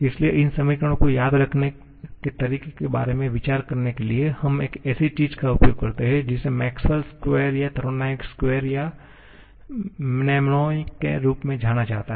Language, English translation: Hindi, So, to get an idea about how to remember these equations, we make use of something that is known as the Maxwell’s square or thermodynamics square or mnemonic